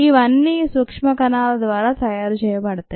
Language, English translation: Telugu, all these are made by these microscopic cells